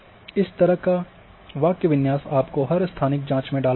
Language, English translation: Hindi, So, this kind of syntax you have to put into every spatial query